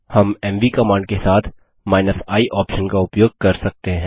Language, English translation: Hindi, We can use the i option with the mv command